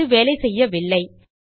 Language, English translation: Tamil, Its not working